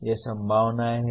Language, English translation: Hindi, These are possibilities